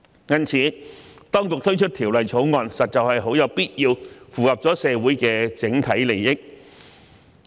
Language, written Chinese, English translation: Cantonese, 因此，當局推出《條例草案》，實在很有必要，符合社會的整體利益。, Therefore the introduction of the Bill is necessary and in the overall interest of Hong Kong